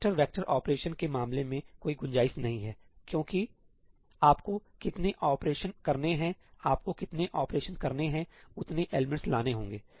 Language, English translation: Hindi, In case of vector vector operations there is no scope, because the number of operations you have to do, you have to fetch as many elements as the number of operations you have to do